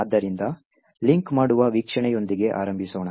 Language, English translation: Kannada, So, let us start with the linker view